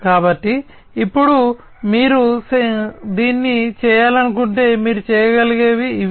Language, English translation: Telugu, So, now if you want to do this, these are the things that you can do